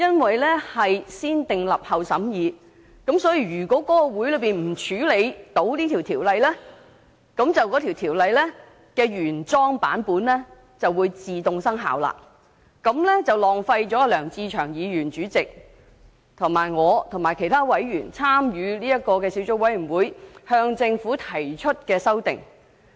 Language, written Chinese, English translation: Cantonese, 按照"先訂立後審議"的程序，如果在會議上處理該規例，該規例的原有版本便會自動生效。這便會浪費小組委員會主席梁志祥議員及其他小組委員會委員和我向政府提出的修訂。, According to the negative vetting procedure if the Regulation could not be dealt with at the meeting the original version of the Regulation would automatically come into operation and the amendments that Mr LEUNG Che - cheung Chairman of the Subcommittee other subcommittee members and I had proposed to the Government would be wasted